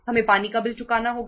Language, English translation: Hindi, We have to pay the water bill